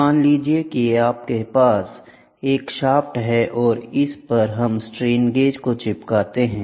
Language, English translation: Hindi, Suppose, you have a shaft, so, we stick strain gauges to the shaft